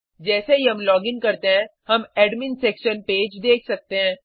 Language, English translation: Hindi, As soon as we login, we can see the Admin Section page